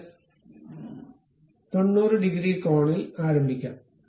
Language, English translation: Malayalam, And it can begin at 90 degrees angle